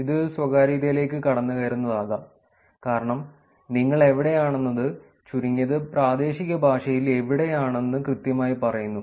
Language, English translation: Malayalam, This can be privacy intrusive because it just says that the exact location where you are at least in the regional language the state where you are